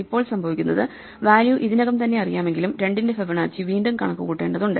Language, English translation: Malayalam, And now what happens is we end up having to compute Fibonacci of 2 again, even though we already know the value